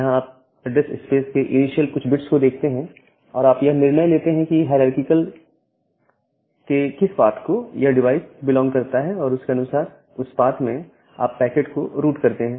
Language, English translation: Hindi, So, here you just look into the initial few bits of the address space and determine that in, which hierarchy, in which path of the hierarchy, the device belong to and accordingly you route the packet in that path